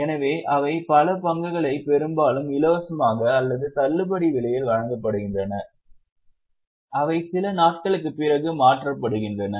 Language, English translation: Tamil, So, they are issued a lot of shares, often free of cost or at a discounted price, which are converted after some days